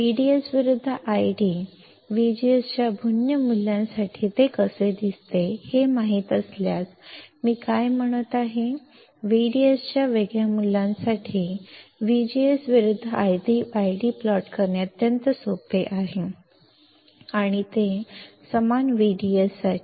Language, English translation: Marathi, What I am saying is if I know the plot I D versus V D S, how it looks like for different value of V G S; for V G S different values, then it is extremely easy to plot I D versus V G S for same V D S; for same V D S